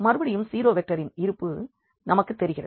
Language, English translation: Tamil, Again, so, we have this existence of the 0 vector